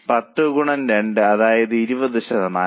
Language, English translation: Malayalam, 2 by 10, that means 20%